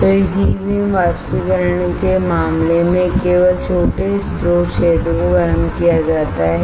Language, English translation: Hindi, So, in case of this E beam evaporation as only small source area is heated